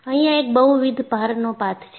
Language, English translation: Gujarati, One is the multiple load path